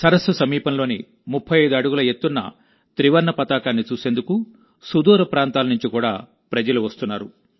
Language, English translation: Telugu, People are also coming from far and wide to see the 35 feet high tricolor near the lake